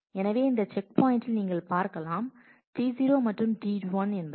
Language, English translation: Tamil, So, at checkpoint you can see that T 0 and T 1 are; what are your candidates